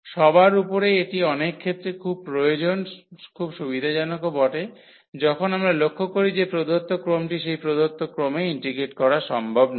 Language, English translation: Bengali, First of all this is very useful very convenient in many situations, when we observe that the given integrand is not possible to integrate in that given order